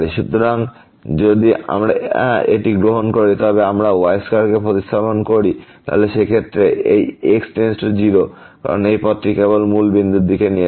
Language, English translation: Bengali, So, if we take this we substitute this square there, then in that case this limit goes to 0 because this path will take to the origin only